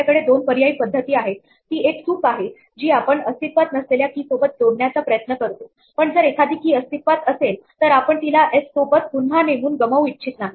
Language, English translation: Marathi, We have two alternative modes of operation it is an error to try an append to a non existent key, but if there is an existing key we do not want to lose it by reassigning s